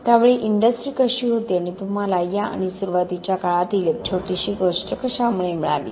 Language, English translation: Marathi, At that time how was the industry and what made you to get into this and little bit story of early time